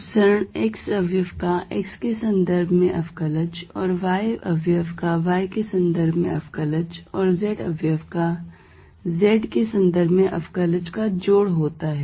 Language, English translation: Hindi, The divergence that is sum of the x component derivatives with respect to x plus the y component derivative with respect to y and z component z derivatives with respect to z